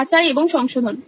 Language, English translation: Bengali, Verification and correction